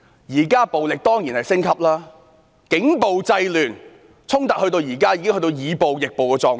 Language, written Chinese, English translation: Cantonese, 現在暴力當然升級，警暴制亂，衝突現在已經變成以暴易暴的狀態。, Violence has certainly been escalating now . Curbing disorder with police brutality has turned the current clashes into a state of answering violence with violence